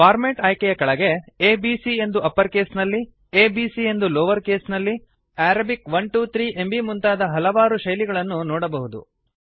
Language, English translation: Kannada, Under the Format option, you see many formats like A B C in uppercase, a b c in lowercase,Arabic 1 2 3and many more